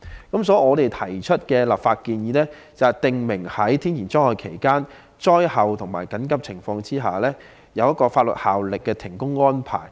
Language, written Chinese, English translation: Cantonese, 因此，我們提出的立法建議是，訂明在天然災害期間、災後和緊急情況下，須有具法律效力的停工安排。, Hence we have proposed a legislative proposal to prescribe the requirement for a work suspension arrangement with legal effect during and after natural disasters and in emergencies